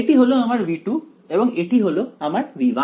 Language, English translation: Bengali, Right this was our v 2 this is our v 1